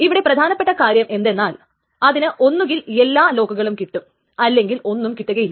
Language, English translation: Malayalam, But essential idea is that it either gets all the locks or it gets none of the locks